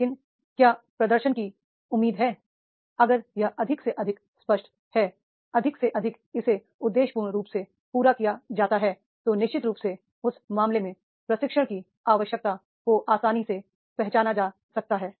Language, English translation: Hindi, But what is expected to perform if it is more and more it is clear, more and more it is met the objectively then definitely in that case that is the training need can be easily identified